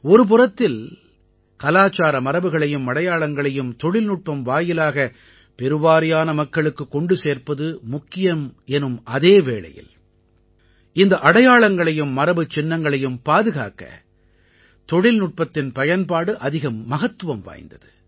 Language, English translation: Tamil, On the one hand it is important to take cultural heritage to the maximum number of people through the medium of technology, the use of technology is also important for the conservation of this heritage